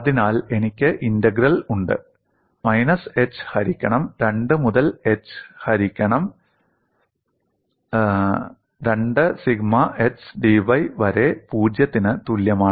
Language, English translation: Malayalam, So I have integral minus h by 2, to h by 2 sigma x dy equal to 0